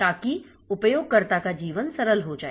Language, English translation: Hindi, So, so that the life of the user becomes simple